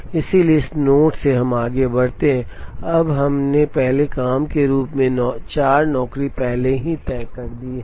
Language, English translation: Hindi, So, from this node we proceed, now we have already fixed job 4 as the first job